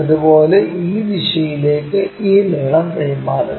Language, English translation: Malayalam, Similarly, transfer this length in this direction